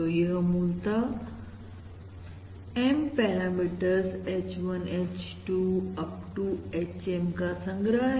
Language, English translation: Hindi, So, basically, this is a collection of M parameters: H1, H2… up to HM